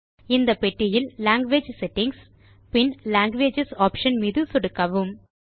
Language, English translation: Tamil, In this box, we will click on Language Settings and then Languages option